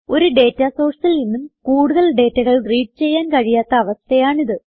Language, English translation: Malayalam, It is a condition where no more data can be read from a data source